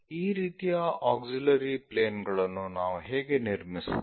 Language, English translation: Kannada, How do we construct this kind of auxiliary planes